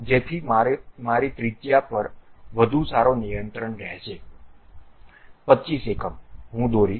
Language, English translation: Gujarati, So that I will have a better control on radius 25 units of length, I will draw